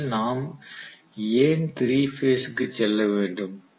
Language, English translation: Tamil, Now first of all why do we have to go for 3 phase